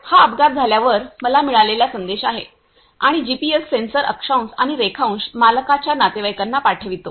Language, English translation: Marathi, This is the message I got when the accident happened and the GPS sensor sends the latitude and longitude to the owner’s relatives